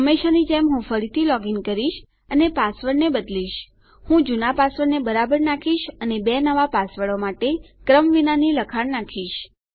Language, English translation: Gujarati, Ill login again as usual and quickly change my password, Ill put my old password in correctly and random text for my two new passwords